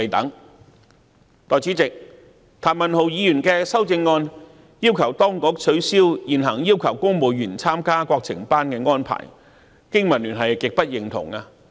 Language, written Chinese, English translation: Cantonese, 代理主席，譚文豪議員的修正案要求當局取消現行要求公務員參加國情班的安排，經民聯極不認同。, Deputy President the Business and Professionals Alliance for Hong Kong strongly disagrees with Mr Jeremy TAM on his amendment to request the Administration to abolish the current arrangement for civil servants to attend the Course on National Affairs